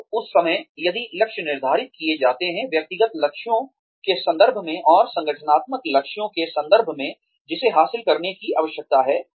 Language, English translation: Hindi, So, at that point of time, if the goals are set, in terms of personal goals, and in terms of the organizational goals, that need to be achieved